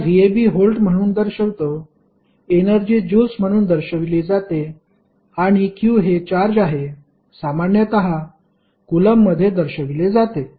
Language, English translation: Marathi, Now, v ab we simply say as volt energy, we simply give in the form of joules and q is the charge which we generally represent in the form of coulombs